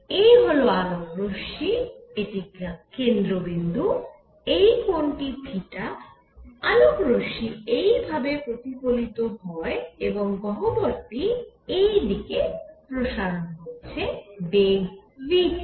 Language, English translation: Bengali, So, there is the light ray which is going this is a centre, this angle is theta, the light ray gets reflected like this and the cavity is expanding in this direction with velocity v